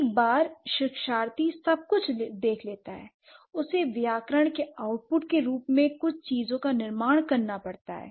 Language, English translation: Hindi, So, once the learner observes everything, she gets towards, she constructs certain things as an output of grammar